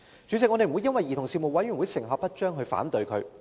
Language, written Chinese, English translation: Cantonese, 主席，我不會因為兒童事務委員會可能成效不彰而反對它。, President I will not oppose the Commission on Children because of its possible ineffectiveness